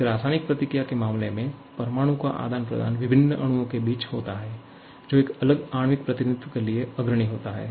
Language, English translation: Hindi, In case of a chemical reaction, the molecules are exchange between two different or I should say atoms are exchanged between two different molecules leading to a different molecular representation